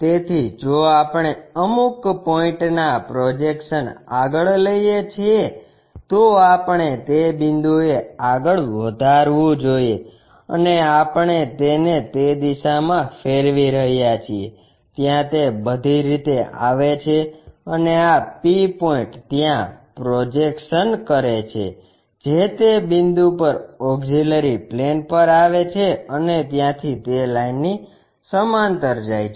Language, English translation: Gujarati, So, if we are projecting some point this one we have to project to that point and we are rotating it in that direction it comes all the way there and this p point projected to there that comes to that point onto the auxiliary plane and from there it goes parallel to that line